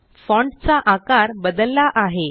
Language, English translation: Marathi, The size of the font has changed